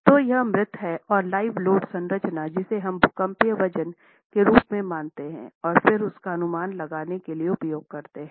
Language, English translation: Hindi, So it is a dead and live load combination that we consider as the seismic weight and then use that to estimate